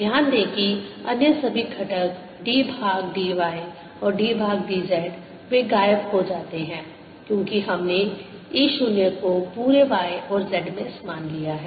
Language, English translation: Hindi, notice that all the other components, d by d, y and d by d z, they vanish because we have taken e naught to be same all over y and z